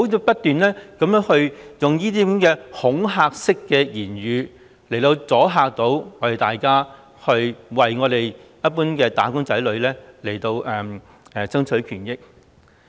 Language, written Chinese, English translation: Cantonese, 不要不斷用恐嚇式的言語，阻嚇大家為一般"打工仔女"爭取權益。, Stop using intimidating remarks to deter Members from striving for the rights and interests of wage earners